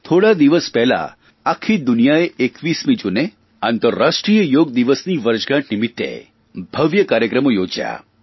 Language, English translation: Gujarati, My dear Countrymen, a few days ago on 21st June, the whole world organised grand shows in observance of the anniversary of the International Day for Yoga